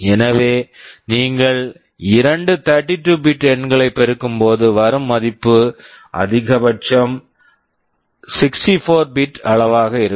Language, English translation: Tamil, So, when you multiply two 32 bit numbers the result can be maximum 64 bit in size